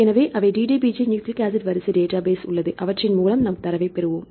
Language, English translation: Tamil, So, they DDBJ nucleic acid sequence database, here we have DDBJ, we will get the data